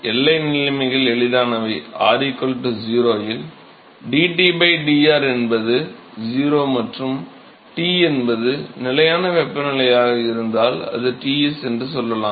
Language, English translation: Tamil, Boundary conditions are easy: dT by dr is, is 0 at r equal to 0 and T is, let us say, if it is constant temperature, it is Ts